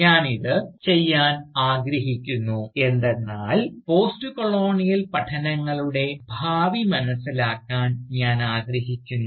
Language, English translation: Malayalam, And, I will do this because, I think to understand the probable Futures of Postcolonial studies